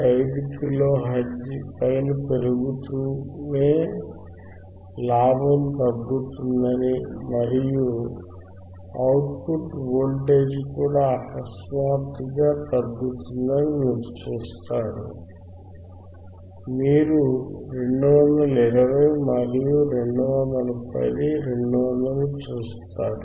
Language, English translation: Telugu, 5 kilo hertz, you will see the gain will decrease and the output voltage will even decrease suddenly, you see 220 and 210, 200